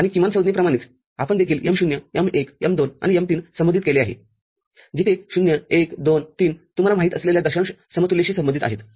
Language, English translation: Marathi, And similar to minterms we also designated with M0, M1, M2 and M3, where 0, 1, 2, 3 corresponding to you know, decimal equivalents